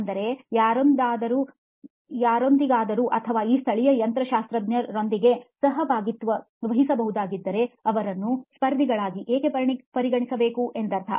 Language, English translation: Kannada, That is, or if he could tie up with somebody who has, or with even these local mechanics, I mean why treat them as competitors